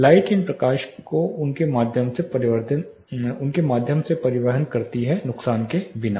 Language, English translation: Hindi, Light tubes these transport light through them without much of losses